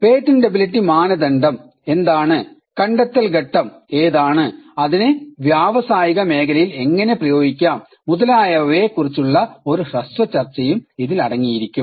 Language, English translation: Malayalam, And it would also contain a brief discussion on the patentability criteria what is novelty, what is inventive step and what is industrial application